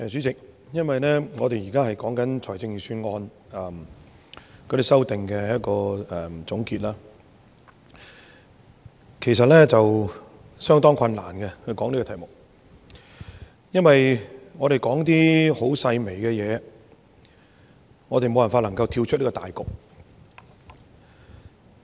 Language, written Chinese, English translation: Cantonese, 主席，我們現在是就財政預算案在這個環節的修正案作總結，其實討論這題目是相當困難的，因為我們說的是一些細微的事情，而我們無法跳出大局。, Chairman we are here to sum up the amendments proposed to the Budget in this session . Actually it is quite difficult to discuss this topic because we are talking about issues of smaller dimension and we are unable to stay aloof from the overall situation